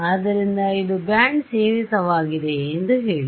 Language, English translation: Kannada, So, say it is band limited